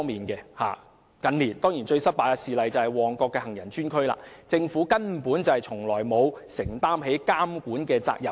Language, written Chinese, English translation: Cantonese, 近年最失敗的事例，當然是旺角行人專用區，政府根本從沒有承擔監管責任。, An example of the greatest failure in recent years is definitely the Mong Kok pedestrian zone . The Government has never assumed any regulatory responsibility